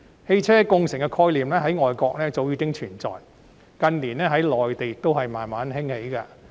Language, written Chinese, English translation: Cantonese, 汽車共乘的概念在外國早已經存在，近年在內地亦漸漸盛行。, The concept of ride - sharing has long existed in foreign countries and has gradually gained popularity on the Mainland